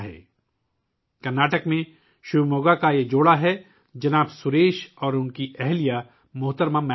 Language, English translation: Urdu, This is a couple from Shivamogga in Karnataka Shriman Suresh and his wife Shrimati Maithili